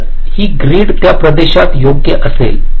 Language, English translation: Marathi, so this grid will be local to that region, right